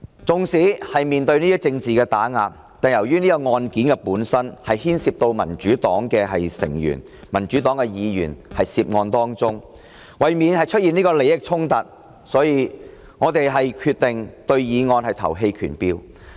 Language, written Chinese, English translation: Cantonese, 縱使面對政治打壓，但由於此案件本身牽涉到民主黨成員、議員，為免出現利益衝突，我們決定對議案投棄權票。, Although in the face of political oppression considering that this case involves members and legislators of the Democratic Party we have decided to abstain from voting in order to avoid any conflict of interest